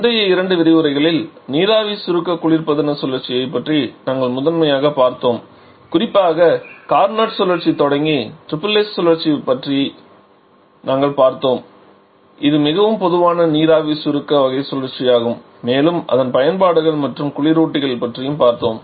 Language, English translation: Tamil, Over previous two lectures we have discussed primarily about the vapour compression refrigeration cycle where we have already seen different variations of that particularly starting with the Carnot cycle we have discussed about the triple S cycle which is a most common vapour compression type cycle and also you have discussed about its applications and there are refrigerants